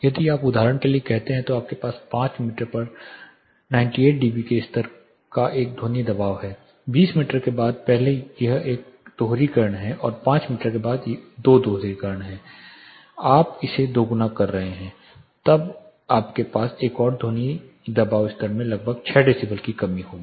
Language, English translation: Hindi, If you substitute say for example, you have a sound pressure of level of 98 dB at 5 meters after 20 meters that is you are actually first it is 1 doubling and 2 doubling after 5 meter it is 10 you are doubling it then you have another one you will have about 6 decibel reduction in sound pressure level